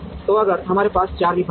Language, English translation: Hindi, So, if we have 4 departments